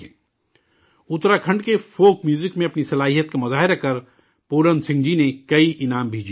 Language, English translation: Urdu, The talented folk music artist of Uttarakhand, Puran Singh ji has also won many awards